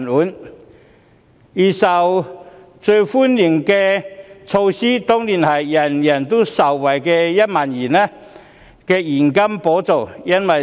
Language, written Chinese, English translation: Cantonese, 此外，預算案中最受歡迎的措施當然是人人受惠的現金1萬元補助。, The most welcomed initiative in the Budget is definitely the cash subsidy of 10,000 that benefits all people